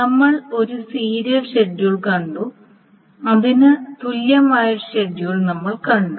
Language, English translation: Malayalam, So we saw one serial schedule and we saw one schedule which is equivalent to it